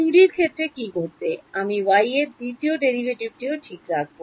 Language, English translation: Bengali, In the case of 2D what will happen, I will have a second derivative of y also ok